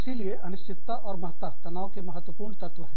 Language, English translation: Hindi, So, uncertainty, and importance, are very important elements of stress